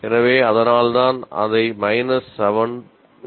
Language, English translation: Tamil, So, that's why we show it as minus 7